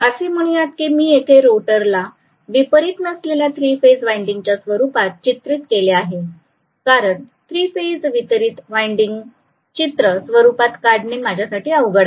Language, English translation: Marathi, Let us say I am representing the stator with 3 phase not distributed winding because it is difficult for me to draw, so I am going to just draw it with concentrated winding